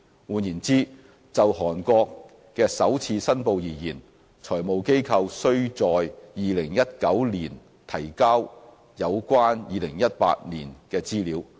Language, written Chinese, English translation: Cantonese, 換言之，就韓國的首次申報而言，財務機構須在2019年提交有關2018年的資料。, In other words for the first reporting relating to Korea financial institutions would be asked to furnish the information in 2019 in respect of the information in 2018